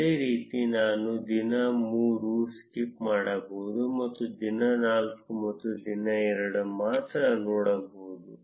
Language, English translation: Kannada, Similarly, I can skip day 3 and see only for day 4 and day 2